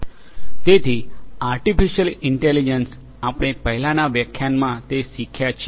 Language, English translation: Gujarati, So, artificial intelligence, we have gone through it in a previous lecture